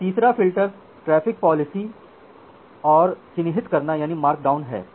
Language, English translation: Hindi, And the third filter is traffic policies and markdown